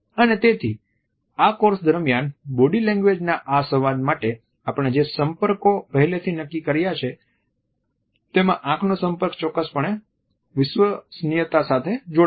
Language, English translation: Gujarati, And therefore, in the contacts which we have already decided for this dialogue of body language during this course, eye contact is definitely linked with the trust issue